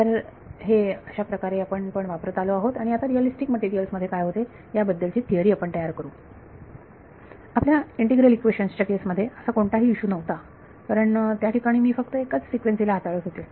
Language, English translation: Marathi, So, so this is what we have been using all along and we will now build a theory of what happens in realistic materials, this was not an issue for our case of yours integral equations because there I was dealing with single frequency